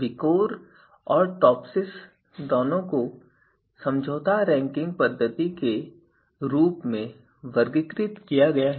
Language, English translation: Hindi, Both VIKOR and TOPSIS, they are also classified as compromised ranking method